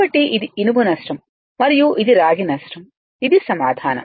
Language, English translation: Telugu, So, this is the iron loss and this is copper loss this is the answer